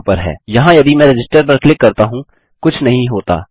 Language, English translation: Hindi, Here if I click Register nothing happens